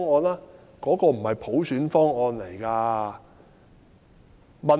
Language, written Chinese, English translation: Cantonese, 那個是普選方案嗎？, Was that a universal suffrage package?